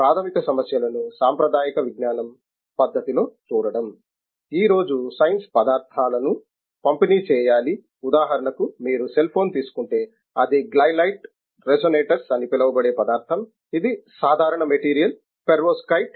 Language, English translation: Telugu, Today the science has to be delivering materials, material means, for example you take a cell phone it is a material called Glylite resonators, this is simple material pervoskite